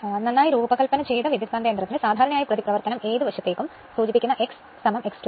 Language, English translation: Malayalam, For a well designed transformers generally reactance is X 1 is equal to X 2 referred to any side right